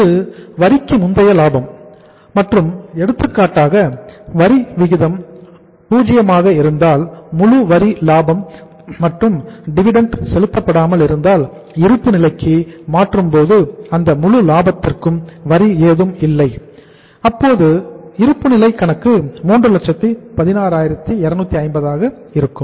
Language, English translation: Tamil, This is the profit before tax and for example if the tax rate is 0 in that case entire tax profit if no dividend is also paid, no tax is due on that entire profit if it is transferred to the balance sheet then this balance sheet will look like that the balance of the balance sheet will be 3,162,50